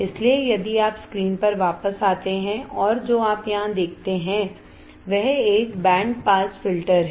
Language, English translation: Hindi, So, if you come back to the screen and what you see here is a band pass filter correct band pass filter